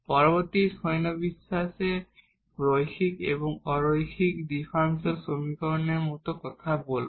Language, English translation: Bengali, The further classifications will be talking about like the linear and the non linear differential equations